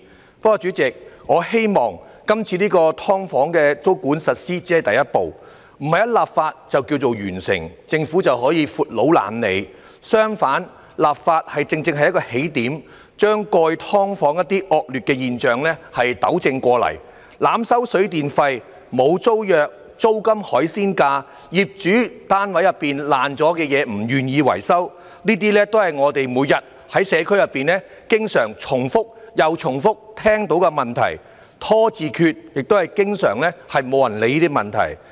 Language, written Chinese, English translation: Cantonese, 不過，主席，我希望今次就"劏房"實施租管只是第一步，不是一經立法便告完成，政府便可以"闊佬懶理"；相反，立法正正是一個起點，把過去"劏房"的一些惡劣現象糾正過來，例如濫收水電費、沒有租約、租金"海鮮價"，以及業主不願維修單位內損壞了的東西，這些都是我們每天在社區內經常重複又重複聽到的問題，"拖字訣"，亦是經常沒有人理會的問題。, However President I hope that the implementation of tenancy control on subdivided units SDUs this time is only the first move but not the completion of matter upon the enactment of the legislation that the Government can just not bother to care anymore; on the contrary the enactment of the legislation is precisely a starting point for rectifying some abominable phenomena of the past such as the overcharging of water and electricity tariffs absence of tenancy agreements fluctuating rents and landlords unwillingness to repair damaged items of the units . These are the problems we always hear repeatedly in the community every day . Such problems are being dragged on yet often ignored as well